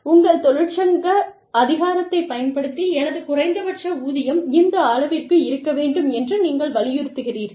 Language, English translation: Tamil, As opposed to, exercising your union power, and saying, no, my minimum wage has to be this much